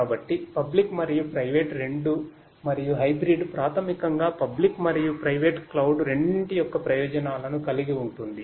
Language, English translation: Telugu, So, both public and private and it has that advantages the hybrid basically has advantages of both the public and the private cloud